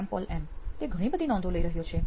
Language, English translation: Gujarati, Shyam Paul M: He might be taking a lot of notes